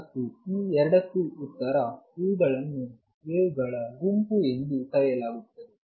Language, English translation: Kannada, And both of these are answered by something call the group of waves